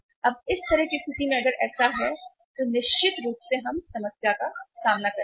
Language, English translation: Hindi, Now in this kind of the situation if that is the case yes certainly we will be facing the music